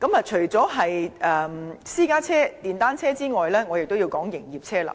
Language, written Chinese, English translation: Cantonese, 除了私家車和電單車外，我也要談及營業車輛。, Apart from private vehicles and motor cycles I would like to talk about commercial vehicles too